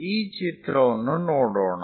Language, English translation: Kannada, Let us look at this picture